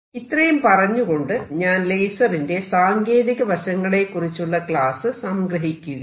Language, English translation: Malayalam, So, with this I conclude this a technological application of lasers